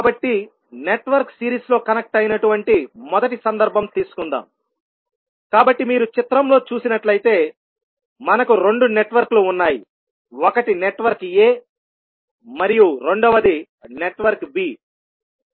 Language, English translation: Telugu, So, let us take first case that the network is series connected, so if you see in the figure these we have the two networks, one is network a and second is network b